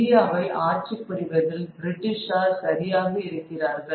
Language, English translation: Tamil, The British are right in ruling India